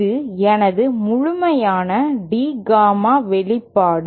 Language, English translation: Tamil, This is my complete expression for D Gamma